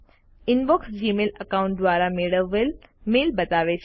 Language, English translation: Gujarati, The Inbox shows mail received from the Gmail account